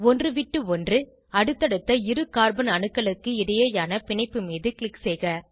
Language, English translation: Tamil, Click on the bond between the next two alternate carbon atoms